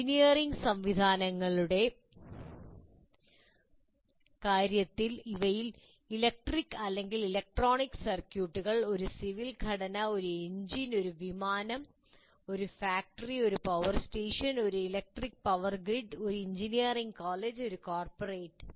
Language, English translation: Malayalam, And when it comes to engineering systems, they include any kind of unit, electric or electronic circuits, a civil structure, an engine, an aircraft, a factory, a power station, an electric power grid, even an engineering college and a corporate, these are all engineering systems